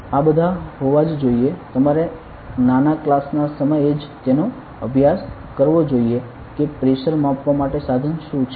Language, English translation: Gujarati, This must be being all you must have measures studied this during a small class itself that what is the instrument used to measure pressure